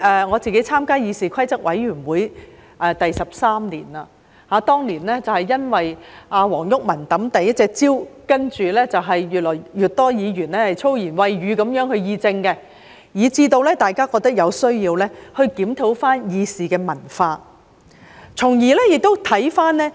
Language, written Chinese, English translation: Cantonese, 我參加議事規則委員會已經13年，當年是因為黃毓民擲出第一隻香蕉，接着越來越多議員以粗言穢語議政，以致大家覺得有需要檢討議事的文化。, I have served on the Committee on Rules of Procedure for 13 years . Years ago WONG Yuk - man threw out a banana the first time a Member had ever done so and then more and more Members used foul language in policy discussion . Consequently we saw the need to review the culture of conducting business in the Council